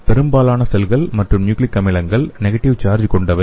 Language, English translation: Tamil, Most of the cells and nucleic acids have negative charge